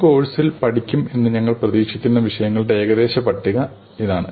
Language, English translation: Malayalam, Here is a kind of approximate list of the topics we expect to cover in the course